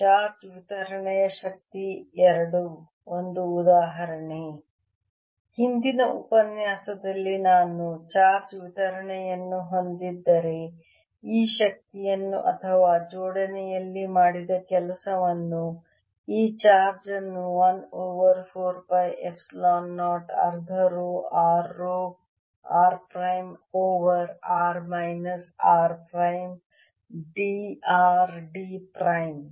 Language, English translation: Kannada, in the previous lecture we saw that if i have a distribution of charge then the energy of this or the work done in assembly, this charge is given by one over four pi, epsilon, zeroone, half row, r row, r prime over r minus r prime d r d r prime